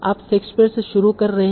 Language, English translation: Hindi, So you are starting from Shakespeare